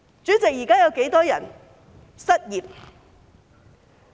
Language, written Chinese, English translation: Cantonese, 主席，現時有多少人失業？, Chairman how many people are unemployed now?